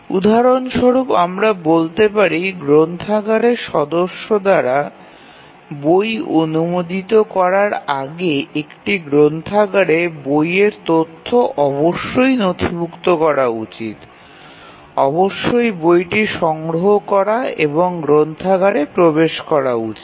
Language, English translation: Bengali, For example, we might say that in a library before a book can be issued by a member the book records must have been created, the book must have been procured and entered in the systems library